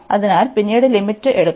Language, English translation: Malayalam, So, later on we will be going taking on the limit